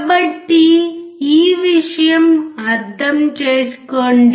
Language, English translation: Telugu, So, understand this thing